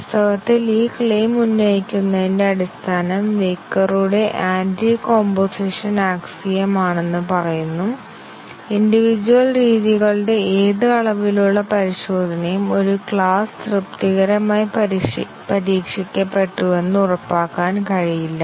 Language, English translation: Malayalam, Actually, the basis of making this claim is attributed to the Weyukar’s Anticomposition axiom, which says any amount of testing of individual methods cannot ensure that a class has been satisfactorily tested